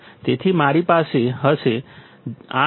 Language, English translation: Gujarati, So, I will have 8